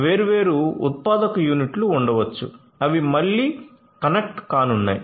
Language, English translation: Telugu, So, different manufacturing units might be there which again are going to be connected right